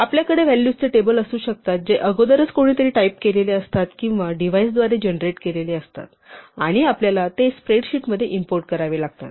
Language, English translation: Marathi, We might have tables of values which are typed in by somebody or generated by a device and we have to import them in a spreadsheet